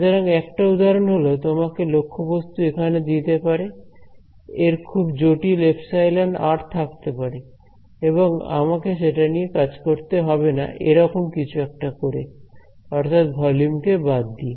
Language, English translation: Bengali, So, one example can give you is object over here, it may have some very complicated epsilon r and I do not have to deal with it by doing something like this by setting by removing excluding this volume but